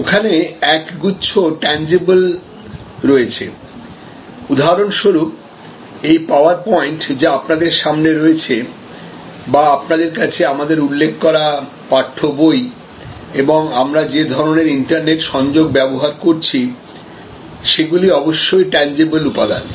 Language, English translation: Bengali, There is a bunch of tangible here, there is some like for example, this PowerPoint which is in front of you or the text book that we have referred and we are using or the kind of connection, internet connection that you are using, these are certain tangible elements